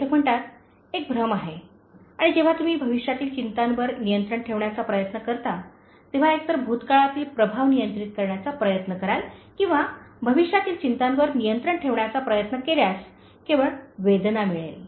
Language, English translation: Marathi, The author says is an illusion and when you try to control future anxieties, either trying to control past influences or trying to control future anxieties will give only pain